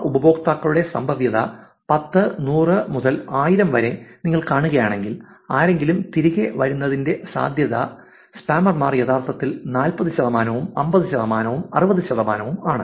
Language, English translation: Malayalam, Let us look at the value 10 to the power of 3, the probability of that users even then 10, 100 to 1000 if you see, the probability of somebody following back the spammer is actually about 40 percent, 50 percent around 60 percent